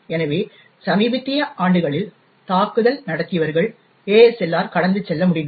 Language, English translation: Tamil, So, in the recent years, attackers have been able to bypass ASLR as well